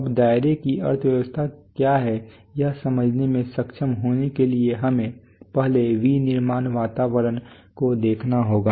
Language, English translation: Hindi, Now what is the economy of scope, to be able to understand that we have to first see look at the look at the manufacturing environment